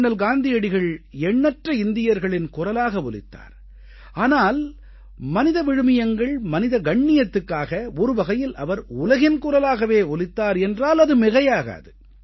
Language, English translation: Tamil, Mahatma Gandhi, of course, became the voice of innumerable Indians, in the larger backdrop of upholding human values & human dignity; in a way, he had become the voice of the world